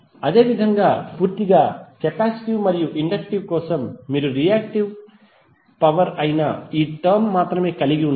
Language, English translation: Telugu, Similarly for purely capacitive and inductive you will only have this term that is the reactive power